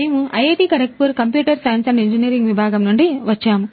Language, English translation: Telugu, We are from Computer Science and Engineering department IIT, Kharagpur